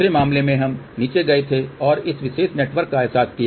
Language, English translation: Hindi, In the other case we had gone down And realize this particular network